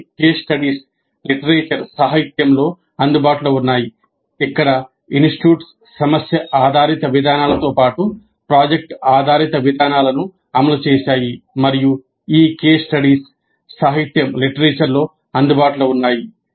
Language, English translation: Telugu, Certain case studies are available in the literature where the institutes have implemented problem based approaches as well as product based approaches and these case studies are available in the literature